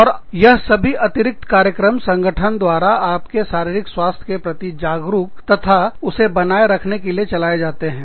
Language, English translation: Hindi, And, these are additional programs, that are run in the organization, to help you become aware of, and maintain your physical health